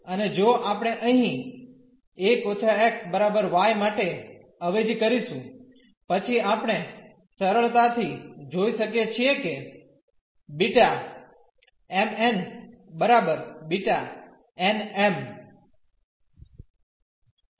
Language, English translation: Gujarati, And, if we substitute here for 1 minus x is equal to y then we can easily see that the B m, n is equal to B n, m